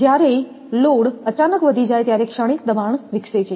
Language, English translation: Gujarati, The transient pressure developed when the load is suddenly increased